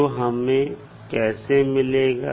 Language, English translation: Hindi, How we will get